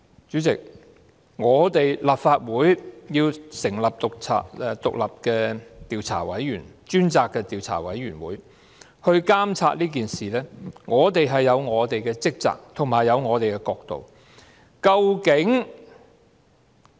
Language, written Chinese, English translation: Cantonese, 主席，立法會要成立獨立專責委員會來調查事件，我們是有我們的職責和角度的。, President an independent select committee formed by the Legislative Council will inquire into the incident in a way commensurate with our duty and perspective